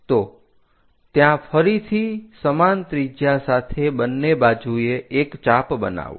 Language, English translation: Gujarati, So, from there again with the same radius make an arc on both sides